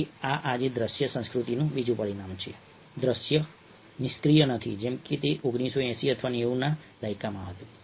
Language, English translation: Gujarati, so this is another dimension of ah, the visual culture today, that the visual is not passive, ah, as it was in nineteen, eighties or nineties